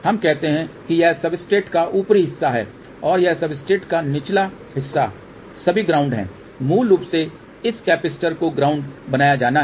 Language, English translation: Hindi, Let us say this is the upper part of the substrate and the lower part of the substrate is all ground and basically this capacitor is to be grounded